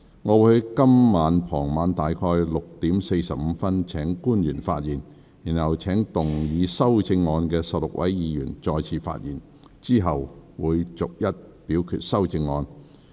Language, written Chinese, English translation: Cantonese, 我會於今天傍晚約6時45分請官員發言，然後請動議修正案的16位議員再次發言，之後逐一表決修正案。, I will call upon public officers to speak at around 6col45 pm this evening to be followed by the 16 Members having proposed the amendments who will speak again . Then the amendments will be put to vote one by one